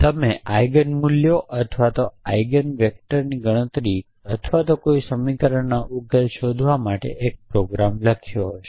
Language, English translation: Gujarati, You may have written a program to create the, I to compute the Eigen values or Eigen vectors or to find routs of an equation